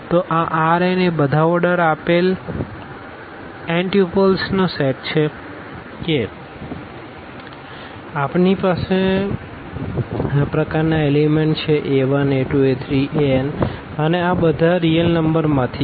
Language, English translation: Gujarati, So, this R n is this set of all this ordered n tuples means we have the elements of this type a 1, a 2, a 3, a n and all these as are from the real number